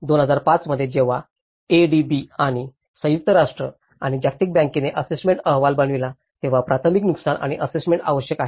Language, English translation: Marathi, In 2005, when the ADB and United Nations and World Bank have made an assessment report, a preliminary damage and needs assessment